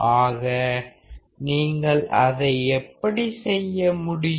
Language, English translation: Tamil, So, how can you do that